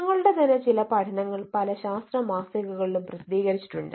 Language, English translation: Malayalam, um ah, some of our own studies also have been published in many eh scientific journals